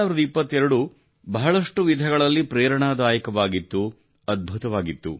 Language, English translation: Kannada, 2022 has indeed been very inspiring, wonderful in many ways